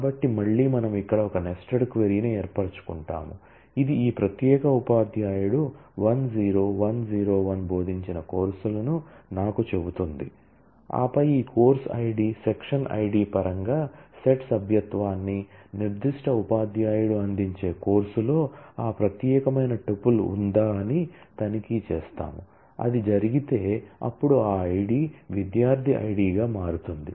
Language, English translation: Telugu, So, again we form a nested query here is a nested query, which tells me the courses taught by this particular teacher 10101, and then we check set membership in terms of this course Id, section Id that is fields of the takes relation to see that, whether that particular tuple can exist in the course offered by the specific teacher; if it does then take out that I d which is which will turn out to be the student Id